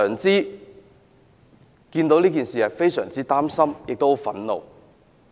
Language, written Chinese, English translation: Cantonese, 因為市民非常擔心和憤怒。, This is because the public are very worried and angry